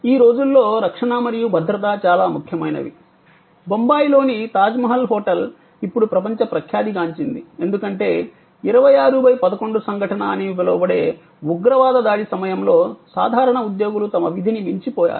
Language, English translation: Telugu, Safety and security these days very impotent for example, the Tajmahal hotel in Bombay is now world famous, because of at the time of the terrorist attack the so called 26/11 incidents the way ordinary employees went beyond their call of duty